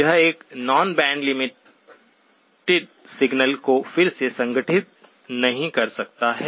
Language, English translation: Hindi, It cannot reconstruct a non band limited signal